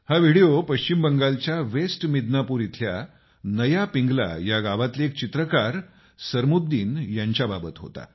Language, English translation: Marathi, That video was of Sarmuddin, a painter from Naya Pingla village in West Midnapore, West Bengal